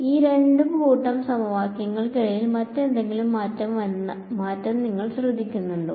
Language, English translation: Malayalam, Do you notice any other change between these two sets of equations